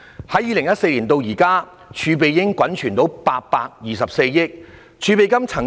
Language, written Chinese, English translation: Cantonese, 由2014年至今，房屋儲備金已滾存至824億元。, From 2014 till now the Housing Reserve has accumulated 82.4 billion